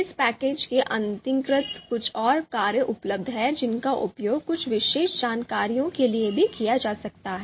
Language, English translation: Hindi, There are few more functions available under this package which can also be used for you know certain more information